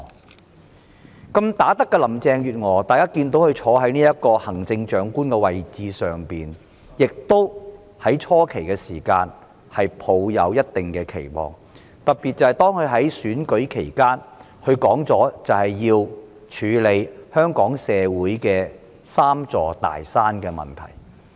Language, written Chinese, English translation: Cantonese, 大家看到"好打得"的林鄭月娥坐在行政長官的位置，初期也抱一定期望，特別是她在選舉期間明言會處理香港社會"三座大山"的問題。, Seeing that the good fighter Mrs Carrie LAM was at the helm as the Chief Executive we had certain expectations at the very beginning particularly because she openly declared during the election that she would tackle the three big mountains plaguing our society